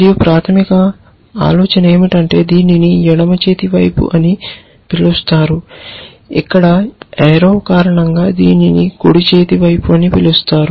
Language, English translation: Telugu, And the basic idea is that this is called the left hand side this is called the right hand side because of the arrow here